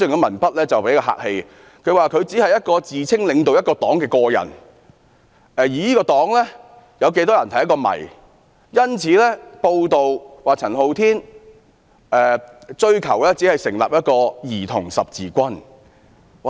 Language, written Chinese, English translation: Cantonese, 文中指出："他只是一個自稱領導一個黨的個人，而這個黨有多少成員是一個謎"。因此，該報道指陳浩天只是追求成立一個"兒童十字軍"。, In her article she said that Andy CHAN was just an individual claiming to be leading a party whose numerical strength was unknown and his quest was just a Childrens Crusade